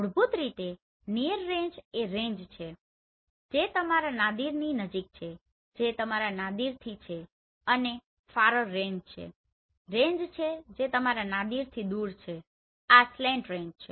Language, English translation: Gujarati, Basically near range is the range which is close to your Nadir far range which is far from your Nadir right and this is slant range